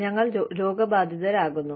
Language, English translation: Malayalam, We fall ill